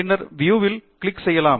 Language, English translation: Tamil, Then we can click on View PDF